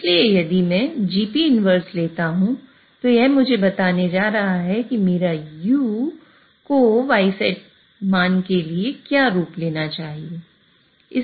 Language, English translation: Hindi, So if I take GP inverse, it is going to tell me what form my U should take in order to have a value of Y set